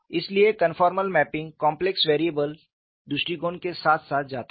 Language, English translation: Hindi, So, conformal mapping goes hand in hand with complex variables approach and what is the advantage